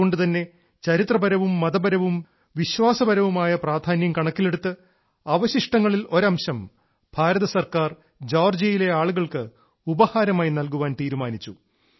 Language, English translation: Malayalam, That is why keeping in mind their historical, religious and spiritual sentiments, the Government of India decided to gift a part of these relics to the people of Georgia